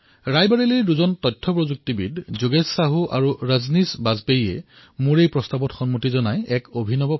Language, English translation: Assamese, Two IT Professionals from Rae Bareilly Yogesh Sahu ji and Rajneesh Bajpayee ji accepted my challenge and made a unique attempt